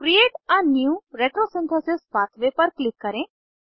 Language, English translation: Hindi, Click on Create a new retrosynthesis pathway